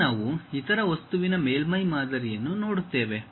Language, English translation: Kannada, Now, we will look at other object name surface model